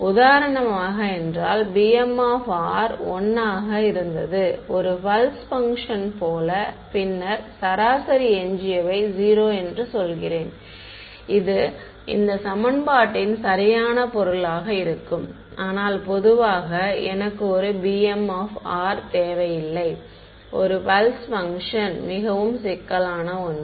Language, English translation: Tamil, For example, if b m of r was 1 like a pulse function, then I am I saying the average residual is 0 that would be the meaning of this equation right, but in general b m of r need not me just a pulse function can be something more complicated